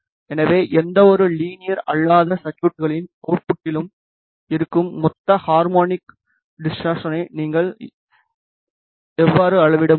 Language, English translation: Tamil, So, this is how you can measure the total harmonic distortion present at the output of any non linear circuit